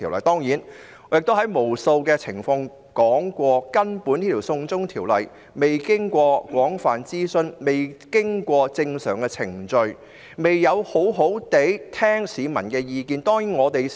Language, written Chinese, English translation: Cantonese, 當然，我已無數次提及，根本這項"送中"法案仍未經廣泛諮詢及正常程序，亦沒有好好聆聽市民的意見。, Certainly I have mentioned numerous times that the China extradition bill had actually not gone through extensive consultation and normal procedures and the Government had not duly listened to the views of the public